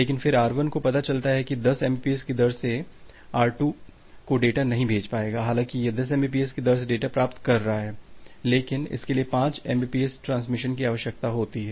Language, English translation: Hindi, But then R1 finds out that it will not be able to send the data to R2 at a rate of 10 mbps, although it is receiving the data at a rate of 10 mbps, but it requires 5 mbps of transmission